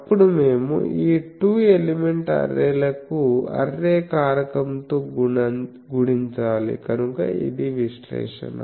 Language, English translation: Telugu, Then we will simply multiply that with the array factor for these two elements, so that is the analysis